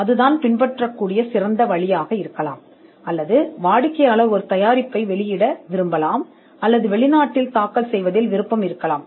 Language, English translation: Tamil, If that is the best course to follow or the client would want to release a product or they could be some interest in filing abroad